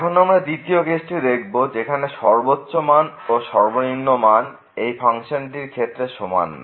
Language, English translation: Bengali, So, now the second case when the maximum value of the function is not equal to the minimum value of the function